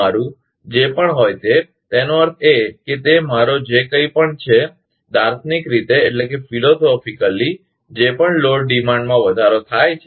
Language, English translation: Gujarati, Your whatever it is; that means, it is whatever I mean, philosophically whatever load demand has increased